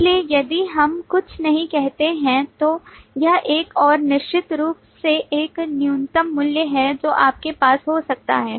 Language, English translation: Hindi, So if we do not say anything, it is one and of course that is a minimum value that you can have